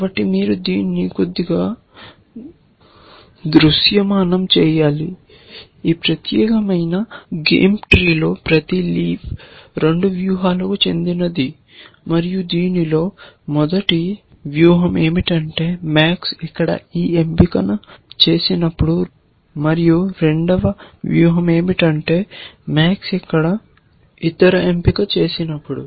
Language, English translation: Telugu, So, you need to visualize this a little bit, that in this particular game tree every leaf belongs to 2 strategies, and that is the one strategy is when max makes this choice here, and the other strategy is when max makes the other choice here